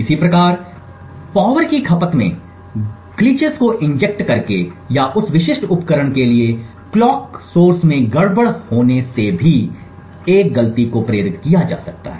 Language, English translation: Hindi, Similarly a fault can also be induced by injecting glitches in the power consumption or by having a glitch in the clock source for that specific device